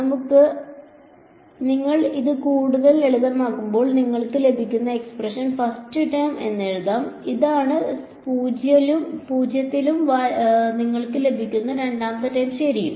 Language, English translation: Malayalam, So, when you simplify this further let us write down s what expression you get is first term is this which is at 0 and the second term that you get is ok